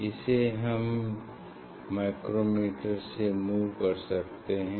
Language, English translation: Hindi, I will use micrometer